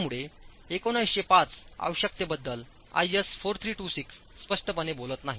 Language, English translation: Marathi, So, 1905 does not speak explicitly about the requirements of IS 4326